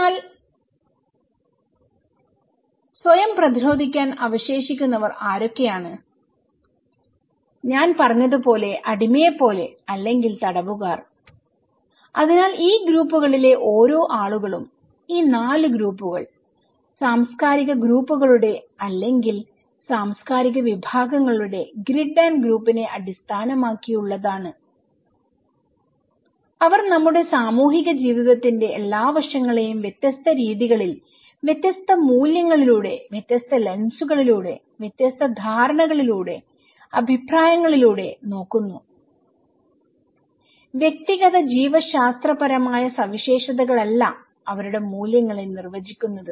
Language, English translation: Malayalam, So, who are left to fend themselves and like the slave as I said or the prisoners okay, so each people of these groups; these 4 groups based on the grid and group of these cultural groups or cultural categories, they looks every aspect of our social life in different manner, different values, different lenses, different perceptions and opinions they have so, it is not the individual biological characteristics that define their values